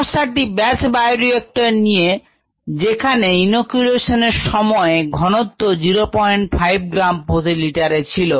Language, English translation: Bengali, the problem reach: in a batch bioreactor the concentration after inoculum was point five gram per litre